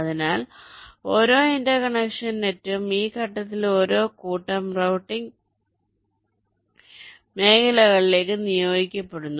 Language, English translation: Malayalam, ok, so each interconnection net is assigned to a set of routing regions